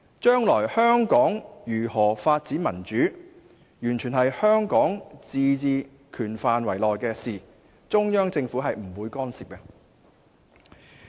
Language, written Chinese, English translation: Cantonese, 將來香港如何發展民主，完全是香港自治權範圍內的事，中央政府不會干涉。, How Hong Kong will develop democracy is entirely a matter within the autonomy of Hong Kong and the Central Government will not interfere with it